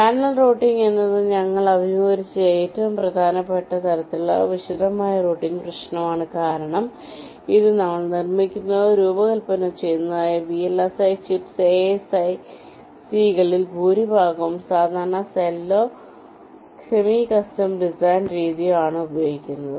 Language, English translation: Malayalam, ok, channel routing is the most important kind of detailed routing problem that we encountered because, as i said, most of the chips that we fabricate or design today they use the standard cell or the semi custom design methodology